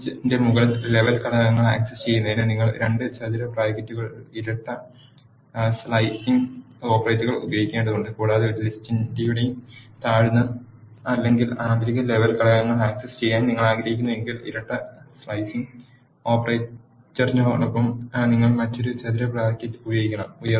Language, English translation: Malayalam, To access the top level components of a list you have to use double slicing operator which is two square brackets and if you want access the lower or inner level components of a list you have to use another square bracket along with the double slicing operator